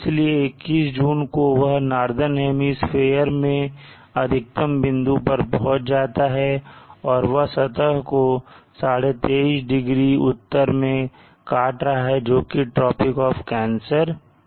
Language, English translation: Hindi, So June 21st it is it would have reach the maximum point and northern hemisphere cutting the surface at 23 ½0 north which is a tropic of cancer